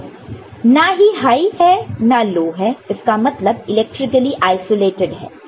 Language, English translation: Hindi, So, neither high, nor low it is kind of electrically isolated